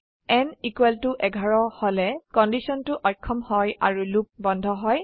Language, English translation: Assamese, When n = 11, the condition fails and the loop stops